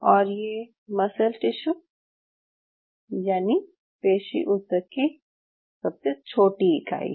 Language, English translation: Hindi, So this is the smallest unit of muscle tissue